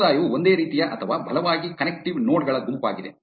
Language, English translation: Kannada, A community is a group of similar or strongly connective nodes